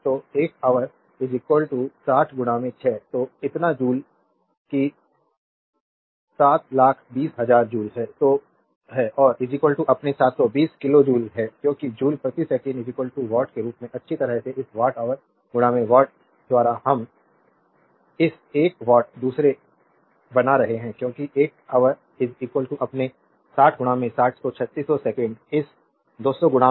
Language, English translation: Hindi, So, this much of joule that is 720,000 joule and is equal to your 720 kilo joule, because joule per second is equal to watt as well as you make this watt hour into watt second we are making this one watt second because one hour is equal to your 60 into 60, so, 3600 second multiplied by this 200 into 400